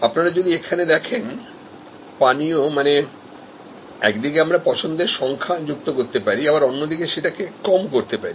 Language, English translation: Bengali, If we look here beverages, I mean, we can on one hand, add choices on the right hand side or reduce the number of choices